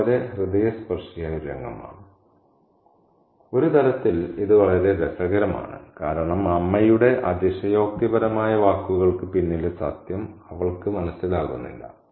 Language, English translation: Malayalam, On one level it is very funny because she doesn't understand the truth behind the exaggerated words of the mother